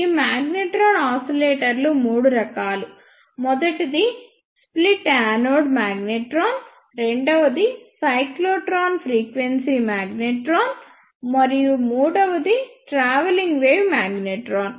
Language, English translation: Telugu, These magnetron oscillators are of three types; first one is split anode magnetron, second one is cyclotron frequency magnetron, and the third one is travelling wave magnetron